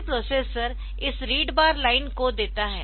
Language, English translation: Hindi, So, this read bar line is given